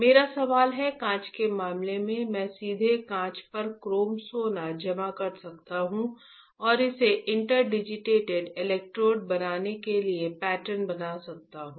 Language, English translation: Hindi, My question is, in case of glass, I could directly deposit chrome gold on glass and pattern it to form interdigitated electrodes